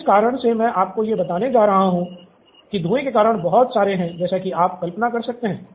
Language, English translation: Hindi, So the reason I am going to give you one of the whys is the reason there is lot of smoke as you can imagine